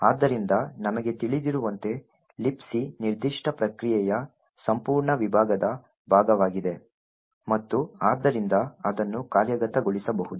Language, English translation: Kannada, So, as we know LibC is part of the whole segment of the particular process and therefore it can execute